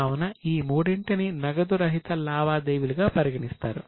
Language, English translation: Telugu, So, these three are treated as non cash transactions